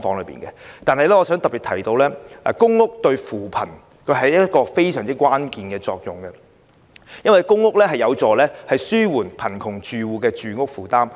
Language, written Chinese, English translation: Cantonese, 然而，我想特別提出的是公屋對扶貧起着非常關鍵的作用，因為公屋有助紓緩貧窮住戶的住屋負擔。, Nevertheless I would like to highlight the key role of public housing in poverty alleviation because it can help alleviate the housing burden on households in poverty